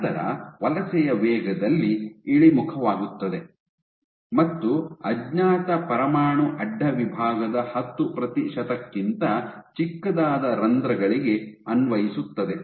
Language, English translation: Kannada, So, then you have a drop in migration speed, and for pores which are smaller than 10 percent of undeformed nuclear cross section